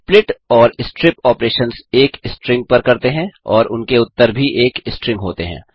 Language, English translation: Hindi, The splitting and stripping operations are done on a string and their result is also a string